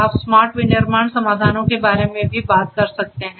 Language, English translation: Hindi, We talk which talks about the smart manufacturing solutions and so on